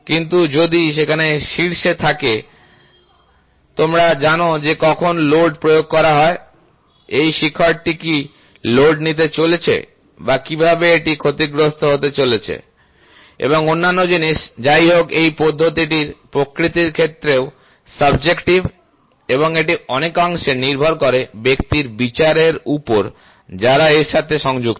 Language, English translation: Bengali, But exactly if there is a peak then, you do not know when the load is applied, what is the load this peak is going to take or how is this going to get damaged and other thing; however, this method is also subjective in nature, and depends on large extent on the judgement of the person which is in touch